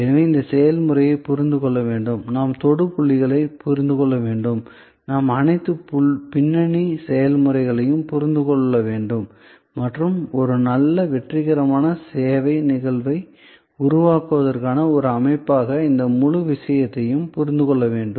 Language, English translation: Tamil, To understand this process therefore, we have to understand the touch points, we have to understand all the background processes and understand this entire thing as a system to create a good successful service instance